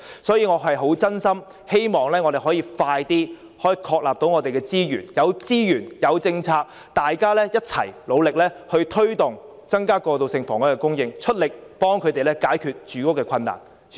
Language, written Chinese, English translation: Cantonese, 所以，我真心希望我們可以盡快確立資源，有資源、有政策，大家便可一起努力推動增加過渡性房屋供應，出力協助他們解決住屋困難。, Therefore I genuinely hope that resources can be available for this task as soon as possible . With the support of resources and policy we will be able to work hard together to increase transitional housing supply . We will able to help these people solve their housing problems